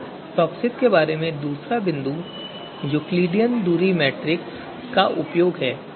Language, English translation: Hindi, Then the second you know second point about TOPSIS is the use of Euclidean distance metric